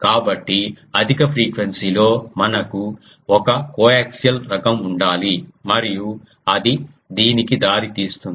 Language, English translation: Telugu, So, in high frequency we need to have a coax type of thing um and that gives rise to this